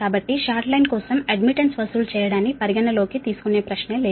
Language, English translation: Telugu, so for short line, no question of considering charging admittance